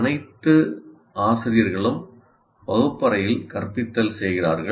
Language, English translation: Tamil, All teachers do instruction in the classroom